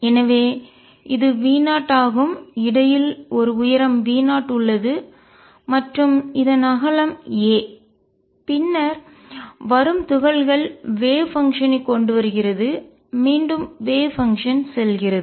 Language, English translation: Tamil, So, this is V 0, and in between there is a height V 0 and the width of this is a then the particles which are coming in have the wave function coming in wave function going back